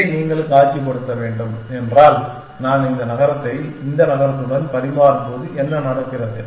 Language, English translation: Tamil, If you must visualize this, this what happening when I am exchanging this city with this city